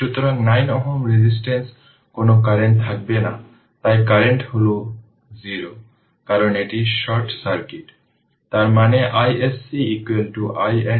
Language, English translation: Bengali, So, there will be no current in 9 ohm ah resistance, so current is 0, because this is short circuit right, that means i s c is equal to i N will be is equal to 4 ampere